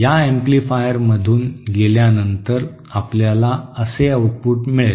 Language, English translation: Marathi, Now after passing through this amplifier, we will get outputs like this